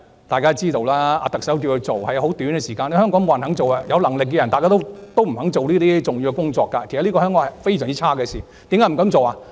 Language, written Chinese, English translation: Cantonese, 大家也知道，特首請她出任司長，只是很短的時間，香港沒有人肯做，有能力的人大多不肯做這些重要工作，這是香港非常差的一件事。, No one in Hong Kong wanted to take up the post; most of the competent people did not want to take up this important position which was really bad for Hong Kong